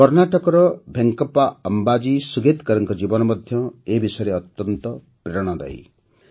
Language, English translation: Odia, The life of Venkappa Ambaji Sugetkar of Karnataka, is also very inspiring in this regard